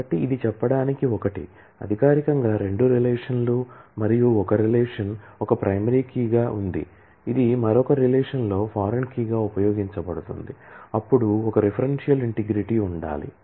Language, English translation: Telugu, So, this is a for saying it, formally there are two relations and one relation as a primary key which is used in the other relation as a foreign key then there is a referential integrity that needs to be maintained